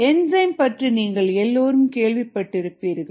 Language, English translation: Tamil, all of you would have heard of enzymes